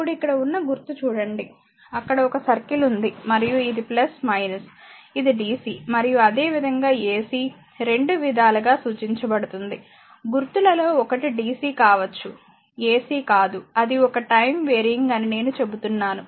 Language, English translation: Telugu, Now, one is look at the symbol here, one circle is there and it is plus minus this can be represented by dc as well as ac both you can dc one of the symbol right, I am not there not ac I said say time varying I will say time varying right